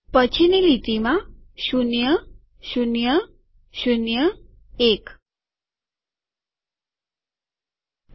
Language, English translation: Gujarati, Next line: zero, zero, zero, one